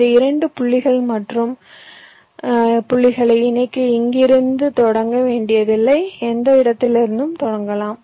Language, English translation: Tamil, for connecting other points you need not have to start from here, you can start from any point in the middle